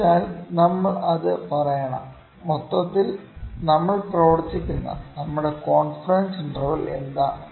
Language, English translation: Malayalam, So, we have to tell that what is our confidence interval in which we are working overall